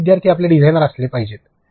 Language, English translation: Marathi, Our learners should be our designers